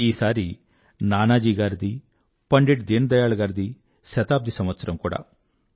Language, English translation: Telugu, This is the centenary year of Nanaji and Deen Dayal ji